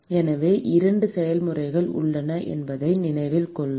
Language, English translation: Tamil, So, note that there are two processes